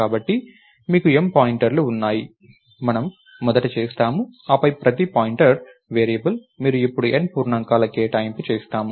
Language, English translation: Telugu, So, you have M pointers, we do that first and then each pointer variable, you now make an allocation of N integers